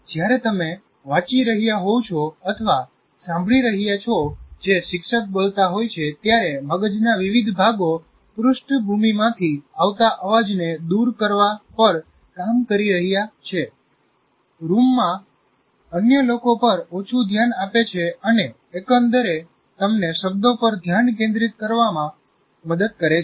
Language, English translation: Gujarati, While you are reading or listening to what the teacher says, different parts of your brain are working to tune out background noises, pay less attention to other people in the room and overall keep you focused on the words